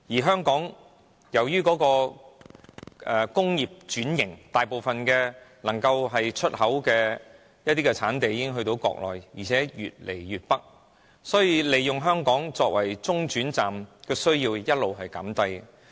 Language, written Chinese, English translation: Cantonese, 香港經濟已轉型，大部分出口貨品的產地已經轉移國內，而且越搬越北，所以，以香港作為中轉站的需要持續減低。, Hong Kong has gone through an economic restructuring the production bases of most of the export goods have been relocated further and further north in the Mainland . Hence the significance of Hong Kongs role as an entrepot has been diminishing